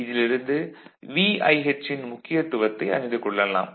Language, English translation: Tamil, So, otherwise speaking what is the significance of VIH